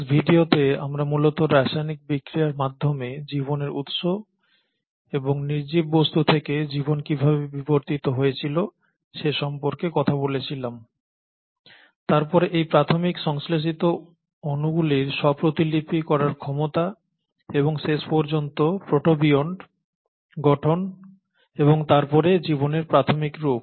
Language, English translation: Bengali, In the last video we spoke about origin of life and how life evolved from non living things, essentially through chemical reactions, and then the ability of these early synthesized molecules to self replicate and eventually formation of protobionts and then the early form of life